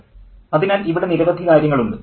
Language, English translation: Malayalam, So, there are several things here